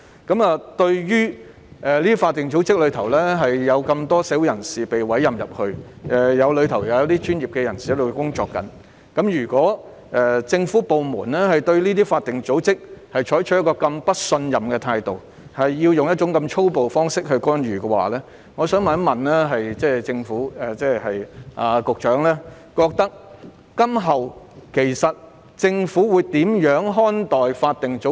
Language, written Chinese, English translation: Cantonese, 在這些法定組織中，有這麼多社會人士獲委任為成員，當中有專業人士，如果政府部門對這些法定組織採取這麼不信任的態度，使用這麼粗暴的方式干預，我想問局長，政府今後會如何看待法定組織？, So many members of the community have been appointed to these statutory bodies . Among them are professionals . If the government departments are so mistrustful of these statutory bodies and intervene in such a brutal manner I wish to ask the Secretary how the Government will treat statutory bodies in future